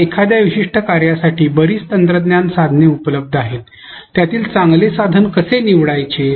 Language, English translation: Marathi, Now, given that there are so many technology tools available for a particular function how to select a good tool